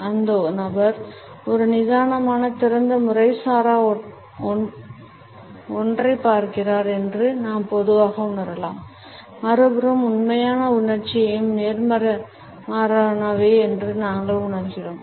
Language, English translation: Tamil, We normally may feel that the person is looking as a relaxed open an informal one, on the other hand we feel that the actual emotions are just the opposite